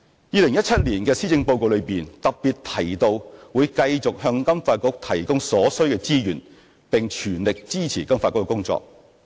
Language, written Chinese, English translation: Cantonese, 2017年施政報告特別提到會繼續向金發局提供所需資源，並全力支持金發局的工作。, It is specially stated in the 2017 Policy Address that the Government will continue to provide FSDC with the necessary resources and fully support its work